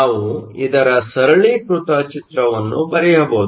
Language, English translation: Kannada, So, we can draw a simplified picture of this